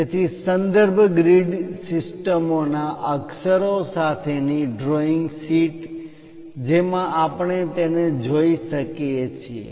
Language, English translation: Gujarati, So, the drawing sheet with lettering the reference grid systems which we can see it